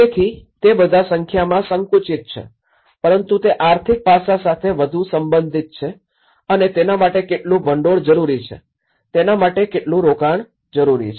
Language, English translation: Gujarati, So, they are all narrowed down to numbers but that is where it is more to do with the economic aspect how much fund is required for it, how much investment is needed for that